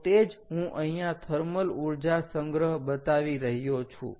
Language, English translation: Gujarati, right, so that is what i am showing here: thermal energy storage